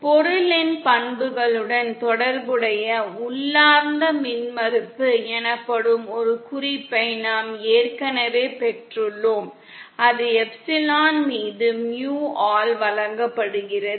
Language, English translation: Tamil, We have already got a hint of something called intrinsic impedance which is related to the property of the material, and that is given by mu upon epsilon